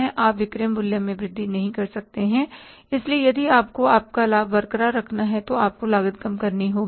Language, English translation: Hindi, You cannot increase the selling price, so you have to reduce the cost